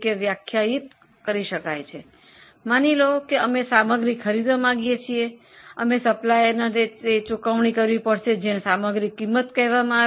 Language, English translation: Gujarati, So, suppose we want to buy material, we will have to pay the supplier that is called as a material cost